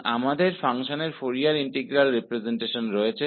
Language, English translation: Hindi, So, we have the Fourier integral representation of the function